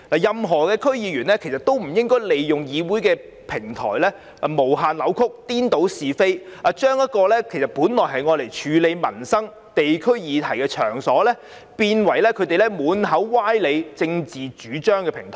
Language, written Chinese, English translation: Cantonese, 任何區議員均不應利用議會的平台，無限扭曲，顛倒是非，將本來用作處理地區民生議題的場所，變為他們散播歪理和政治主張的平台。, No DC member should use the legislature as a platform to make indefinite distortions and confound right with wrong . Nor should they turn the place for handling district livelihood issues into a platform for spreading their fallacious arguments and political ideologies